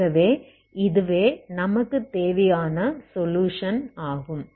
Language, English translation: Tamil, So this is the solution, this is the required solution